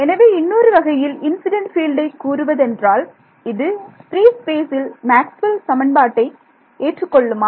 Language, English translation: Tamil, So, another way of putting it is the incident field, does it obey Maxwell’s equations in free space, yes